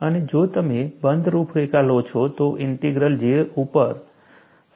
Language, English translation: Gujarati, See, if it is a closed contour, then, the integral value will go to 0